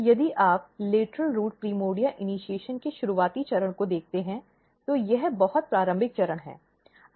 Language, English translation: Hindi, So, if you look at early stage of the lateral root primordia initiation, this is very early stage